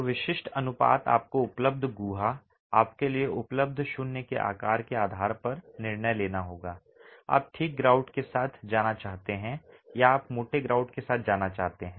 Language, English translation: Hindi, So, typical proportions you will have to take a decision depending on the available cavity, the size of the void that is available to you whether you want to go with a fine grout or you want to go with a coarse grout